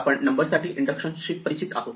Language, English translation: Marathi, Now we are familiar with induction for numbers